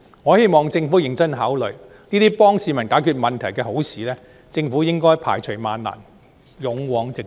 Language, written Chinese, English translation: Cantonese, 我希望政府認真考慮，這些可以幫助市民解決問題的好事，政府應該排除萬難，勇往直前。, These are all good initiatives that will help solve public problems . I hope the Government will consider them seriously and press on despite difficulties